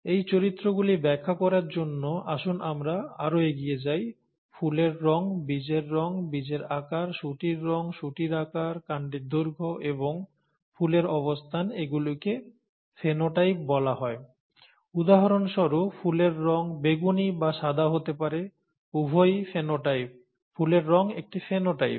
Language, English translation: Bengali, Let us go further to see, to explain this and these characters, flower colour, seed colour, seed shape, pod colour, pod shape, stem length and flower positions are called ‘phenotypes’; for example, the flower colour could be either purple or white; both are phenotypes, flower colour is a phenotype and so on